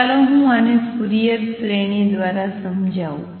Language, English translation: Gujarati, Let me explain this through Fourier series